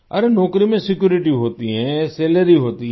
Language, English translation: Hindi, There is security in the job, there is salary